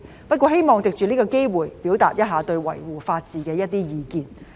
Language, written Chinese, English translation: Cantonese, 不過，我希望藉此機會表達對維護法治的一些意見。, Having said that I would like to take this opportunity to express some of my views on upholding the rule of law